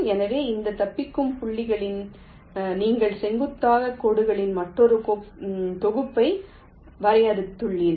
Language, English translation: Tamil, so on this escape points, you defined another set of perpendicular lines